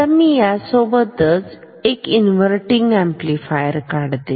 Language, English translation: Marathi, Now, let me also draw side by side the inverting amplifier